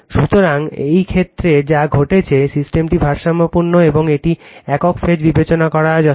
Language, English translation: Bengali, So, in this case what happened, the system is balanced and it is sufficient to consider single phase right